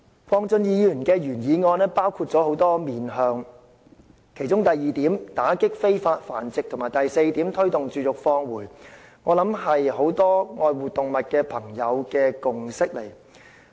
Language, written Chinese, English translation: Cantonese, 鄺俊宇議員的原議案包括很多方向，其中第二點打擊非法繁殖和第四點推動絕育放回相信是很多愛護動物的朋友的共識。, Mr KWONG Chun - yus original motion covers many directions . I believe that point 2 on stepping up enforcement actions against unlawful animal breeding and point 4 on taking forward the scheme of neuter and return are unanimously agreed by many animal lovers